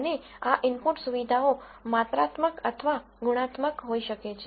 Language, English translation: Gujarati, And these input features could be quantitative, or qualitative